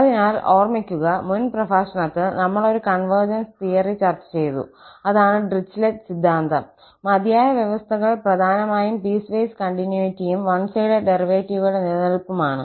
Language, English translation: Malayalam, So, just to recall from the previous lecture, we have discussed convergence theorem, that was the Dirichlet theorem and the sufficient conditions mainly the piecewise continuity and existence of one sided derivatives